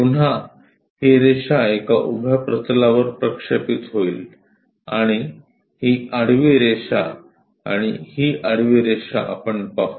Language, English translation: Marathi, Again this line will be projected onto vertical one, and this horizontal line and this horizontal line, we will see